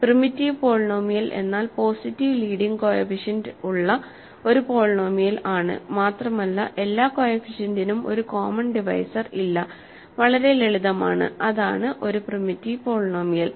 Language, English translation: Malayalam, So, just primitive polynomial is nothing, but a polynomial positive degree with positive leading coefficient and there is no common devisor for all the coefficients; very simple, right